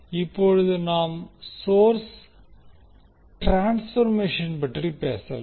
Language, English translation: Tamil, Now let us talk about the source transformation